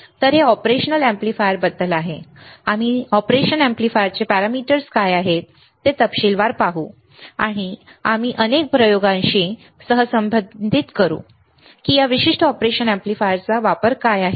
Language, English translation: Marathi, So, this is about the operation amplifier, we will see in detail what are the parameters for operation amplifier, and we will correlate with lot of experiments, that what is a use what is the application of this particular operation amplifier